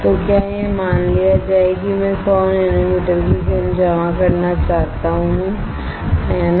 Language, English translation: Hindi, So, this is suppose I want to deposit 100 nanometer of film, right